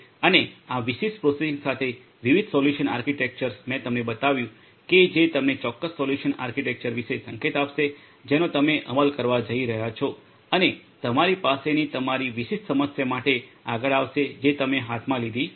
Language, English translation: Gujarati, And for this particular processing different solution architectures I have shown you will which will give you a hint about the particular solution architecture that you are going to implement and are going to come up with for your specific problem that you have in hand